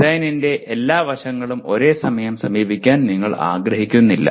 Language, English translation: Malayalam, You do not want to approach all aspects of the design simultaneously